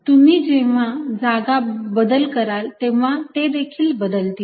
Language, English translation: Marathi, so as you change the position, they also change